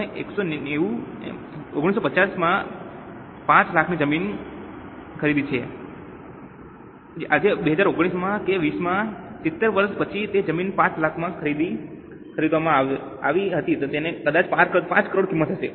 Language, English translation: Gujarati, Today in 2019 or in 2020 after 70 years the land which was purchased for 5 lakhs perhaps today might have a value of 5 crores